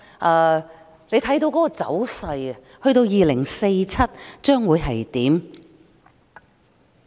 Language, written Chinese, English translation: Cantonese, 按照這個走勢，香港到2047年會變成怎樣？, If this trend persists what will happen to Hong Kong in 2047?